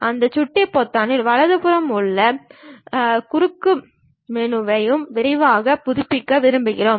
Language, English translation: Tamil, And the right side of that mouse button any shortcut menu which we will like to quickly update it we use that